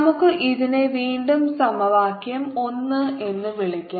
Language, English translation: Malayalam, let's call it again equation one